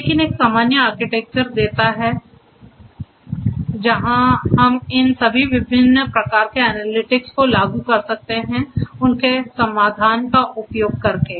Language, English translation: Hindi, But gives a common architecture where we could extend to implement all these different types of analytics using their solution